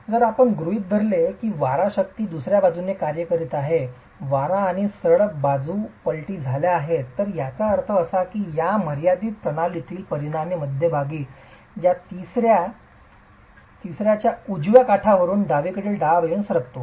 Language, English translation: Marathi, If I were to assume that the wind force is acting from the other side that the windward and the leeward sides were flipped, it means that the resultant in this limiting case basically moves from this right edge of the middle third to the left edge of the middle third but always needs to remain within the middle 1 third